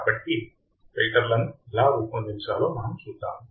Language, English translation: Telugu, So, we will see how we can design filters